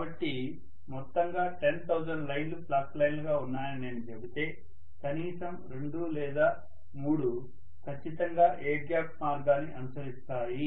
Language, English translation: Telugu, So if I say totally 10,000 lines are there on the whole as flux lines, at least 2 or 3 can definitely be following the path through the air gap